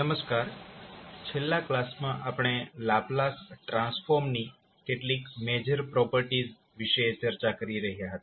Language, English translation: Gujarati, Namaskar, so in last class we were discussing about the few major properties of the Laplace transform